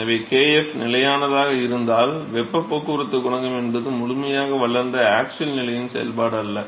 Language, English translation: Tamil, So, if kf is constant, then the heat transport coefficient is not a function of the axial position the fully developed regime